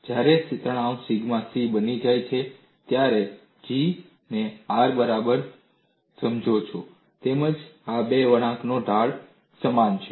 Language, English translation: Gujarati, When the stress becomes sigma c, you find G equal to R as well as the slopes of these two curves are equal